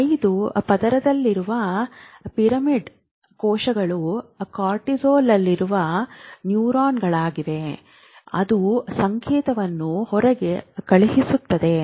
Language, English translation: Kannada, As if you remember, the pyramidal cells which are on layer 5 are the neurons in cortex which send the signal out